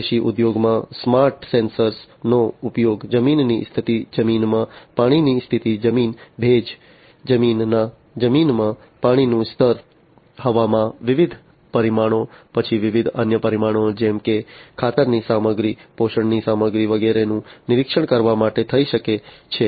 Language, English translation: Gujarati, In the agricultural industries, you know, smart sensors can be used for monitoring the soil condition, water condition in the soil, soil, moisture, water level in the soil, different weather parameters, then different other parameters such as the fertilizer content, the nutrition content of the soil to be used by the plants and so on